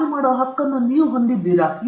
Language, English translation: Kannada, Do we have the right to do that